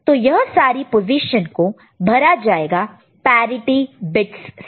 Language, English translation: Hindi, So, these positions will be filled by parity bit, ok